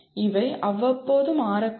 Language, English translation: Tamil, These may change maybe from time to time